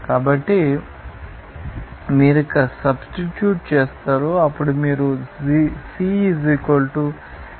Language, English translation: Telugu, So, you just substitute here, then you will see that the values of C = 0